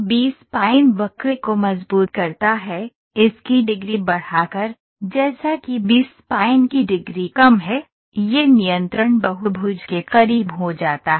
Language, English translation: Hindi, The B spline curve tightens, by increasing its degree, as the degree of the B spline is lower, it becomes close to the control polygon